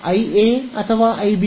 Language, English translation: Kannada, I A and I B